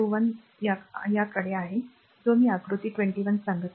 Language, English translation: Marathi, 21 figures I am telling figure 21